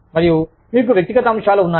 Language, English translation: Telugu, And, you have personal factors